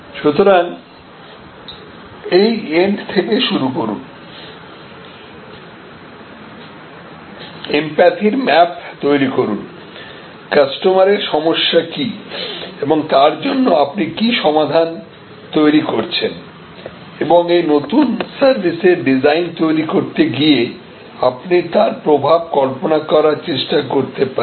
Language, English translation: Bengali, So, start from this end map with empathy the customer pain and what resolution you can provide and in trying to frame this design question, designing this new service, you can also try to visualize the impact that you are trying to have